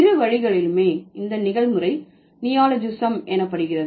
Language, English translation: Tamil, In both ways the process is called as neologism